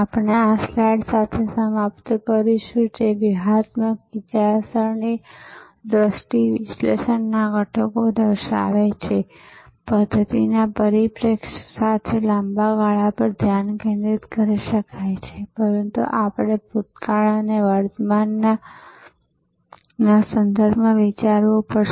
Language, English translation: Gujarati, So, we will conclude with this slide which shows the components of strategic thinking, the vision, the analysis, with the systems perspective there may be a focus on the long term, but we have to think in terms of the past and the present